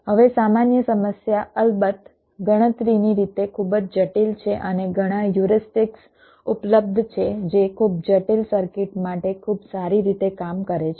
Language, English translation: Gujarati, now the general problem of course is very difficult, computational, complex and many heuristics are available which work pretty well for very complex circuits